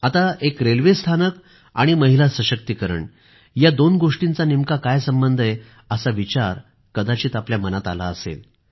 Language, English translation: Marathi, You must be wondering what a railway station has got to do with women empowerment